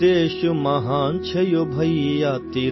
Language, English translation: Hindi, Our country is great brother